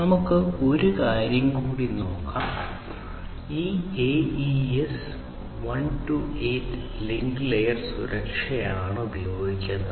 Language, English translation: Malayalam, So, so, let us look at and one more thing is that this AES 128 link layer security is used